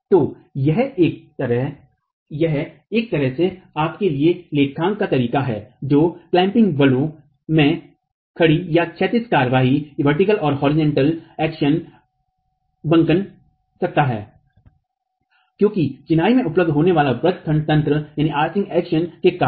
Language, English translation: Hindi, So this is a way of accounting for your in one way bending action, vertical or horizontal the clamping forces that can come because of arching mechanism available in masonry